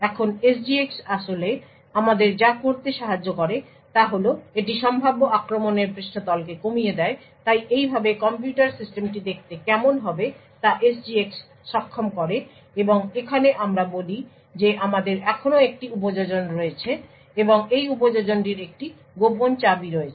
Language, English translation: Bengali, Now what SGX actually helps us do is that it reduces the potential attack surface so this is how SGX enables the computer system would look like and over here let us say we still have an application and this application has a secret key